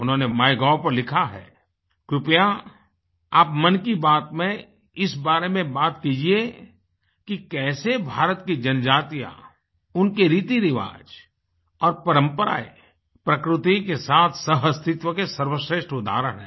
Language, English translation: Hindi, He wrote on Mygov Please take up the topic "in Mann Ki Baat" as to how the tribes and their traditions and rituals are the best examples of coexistence with the nature